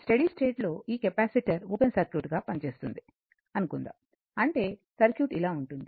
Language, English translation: Telugu, Suppose at steady state this capacitor will act as open circuit; that means, circuit will be something like this, right